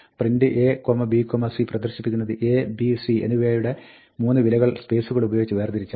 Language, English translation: Malayalam, ‘print a, b, c’ will display 3 values; the values of a, b and c, separated by spaces